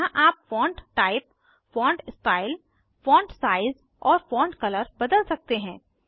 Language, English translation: Hindi, Here you can change the Font type, Font style, font Size and font Color